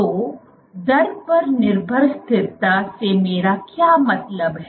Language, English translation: Hindi, So, what do I mean by rate dependent stability